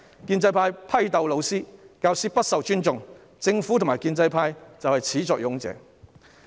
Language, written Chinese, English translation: Cantonese, 建制派批鬥老師，教師不受尊重，政府及建制派是始作俑者。, There is a lack of respect for teachers . The Government and the pro - establishment camp are the initiators